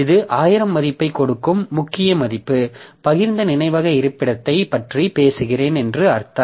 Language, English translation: Tamil, So, this key value giving a value of 1,000 will ultimately mean that I am talking about the shared memory location 2